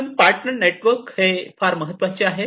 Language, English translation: Marathi, So, partner network is very important